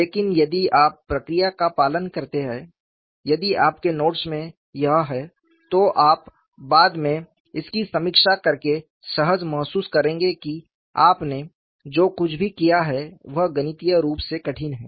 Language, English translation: Hindi, We are not doing anything new, but if you follow the procedure, if you have that in your notes, you will feel comfortable when you review it later, that whatever you have done is mathematically rigorous